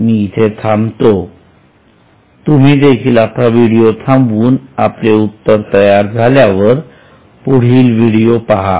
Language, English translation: Marathi, I will halt here, please pause the video and then after you are ready see the remaining part of video